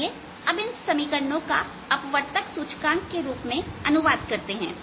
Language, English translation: Hindi, let us translate this equations to equations in terms of the refractive index